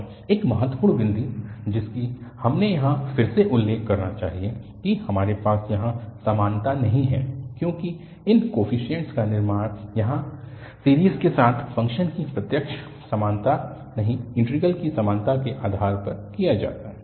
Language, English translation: Hindi, And, the one important point which we should again mention here that we do not have the equality here, because these construction of these coefficients is done based on the equality of the integrals not direct equality of the function with the series here